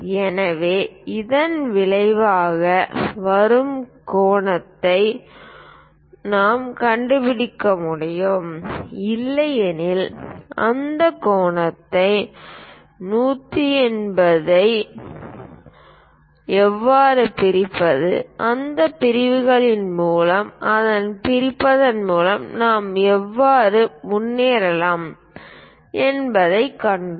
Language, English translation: Tamil, So, the resulting angle we can really locate it, otherwise we have seen how to divide these angle 180 degrees by bisecting it, trisecting it and so on that is also we can go ahead